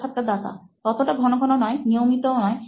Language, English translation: Bengali, Not that frequently, not that regularly